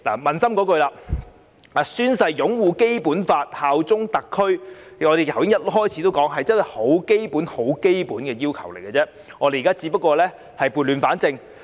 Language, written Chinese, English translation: Cantonese, 撫心自問，宣誓擁護《基本法》及效忠特區，正如我開始時所說，只是很基本、很基本的要求，我們現在只是撥亂反正。, Honestly speaking as I said right at the beginning taking an oath to uphold the Basic Law and swear allegiance to SAR is a very basic and fundamental requirement . What we are doing now is to set things right